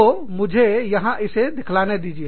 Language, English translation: Hindi, So, let me show this, to you